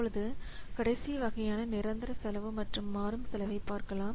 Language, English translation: Tamil, Now let's come to the last category that is fixed cost versus variable cost